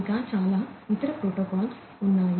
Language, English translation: Telugu, There are many other protocols that are also there